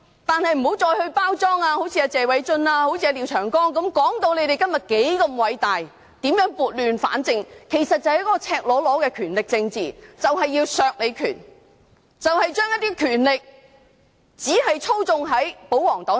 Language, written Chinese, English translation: Cantonese, 但是，請不要再好像謝偉俊議員、廖長江議員般包裝，說自己今天如何偉大、如何撥亂反正，而其實是赤裸裸的權力政治，要削弱反對派的權力，而將權力只交由保皇黨操縱。, However I hope Members will not act like Mr Martin LIAO or Mr Paul TSE who present themselves as great people who have set wrong things right . This is actually a blatant manipulation of political powers to weaken the powers of the opposition camp and transfer powers to the royalists